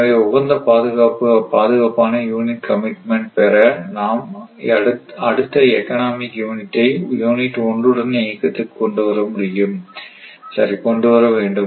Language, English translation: Tamil, in order to obtain the optimal and yet secure unit commitment is necessary to run the next most economical unit that is unit 2 along with unit1, right